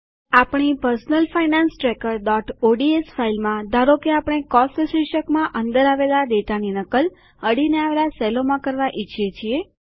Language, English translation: Gujarati, In our Personal Finance Tracker.ods file, lets say we want to copy the data under the heading Cost to the adjacent cells